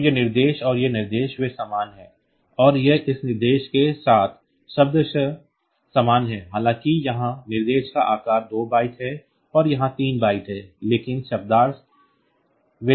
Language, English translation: Hindi, So, this is this instruction and this instruction they are same and this is semantically same with this instruction though the size of the instruction here is 2 byte and here there are three bytes, but semantically they are same